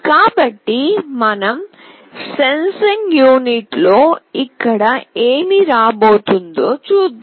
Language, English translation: Telugu, So, let us see what is coming here in our sensing unit